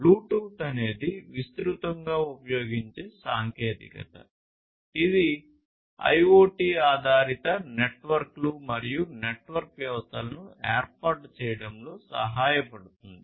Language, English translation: Telugu, So, Bluetooth is a widely used technology which can help in setting up IoT based networks and network systems